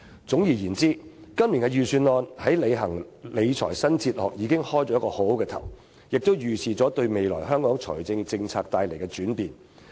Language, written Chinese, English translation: Cantonese, 總而言之，今年的預算案為實踐"理財新哲學"開了個好頭，亦預示了未來香港財政政策的轉變。, All in all this years Budget has made a good start in putting the new fiscal philosophy into practice and it heralds a change in the future fiscal policy of Hong Kong